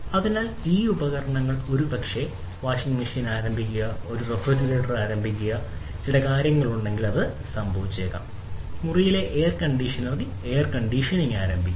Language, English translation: Malayalam, So, these devices could be maybe, you know, starting a washing machine, starting a refrigerator, if there is certain thing, you know, that has happened; starting the air conditioning in air conditioner in the room, right